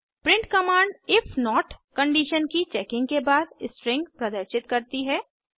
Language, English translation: Hindi, print command displays the string after checking the if condition